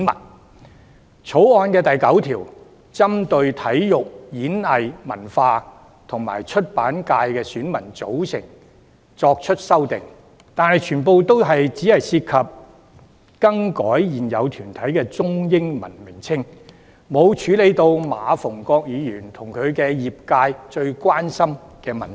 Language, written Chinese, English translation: Cantonese, 雖然《條例草案》第9條針對體育、演藝、文化及出版界的選民組成作出修訂，但全部只涉及更改現有團體的中英文名稱，並未處理馬逢國議員和其業界最關心的問題。, Whilst clause 9 of the Bill introduces amendments to the electorate composition of the Sports Performing Arts Culture and Publication Constituency all such amendments only involve modification to the Chinese and English names of the existing corporates and they have not addressed issues of the greatest concern shared by Mr MA Fung - kwok and his sectors